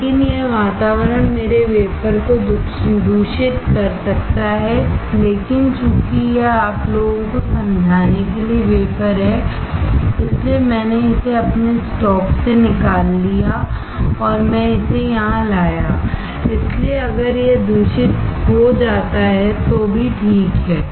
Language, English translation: Hindi, But this environment can contaminate my wafer, but since this is the wafer for you guys to understand, I took it out of my stock and I brought it here, so even if it gets contaminated it is ok